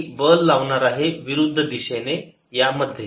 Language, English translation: Marathi, i'll be applying a force in the opposite direction